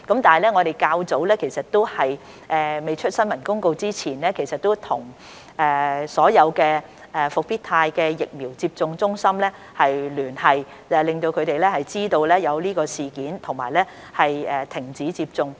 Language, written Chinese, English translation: Cantonese, 不過，在較早前尚未發出新聞公告時，我們其實已經與所有復必泰疫苗接種中心聯繫，讓他們知悉事件及停止接種。, But before we issued the press release we had actually got in touch with all CVCs for the Comirnaty vaccine so as to alert them to the incident and suspend the administration of the said vaccine